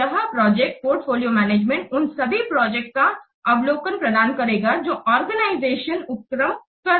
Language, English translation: Hindi, So, this project portfolio management, it provides an overview of all the projects that an organization is undertaking